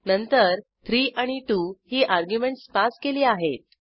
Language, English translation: Marathi, Then we pass arguments as 3 and 2